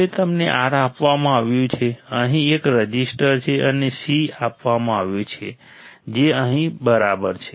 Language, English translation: Gujarati, Now you are given R there is a resistor here, we were given c which is here right